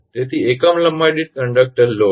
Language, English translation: Gujarati, So conductor load per unit length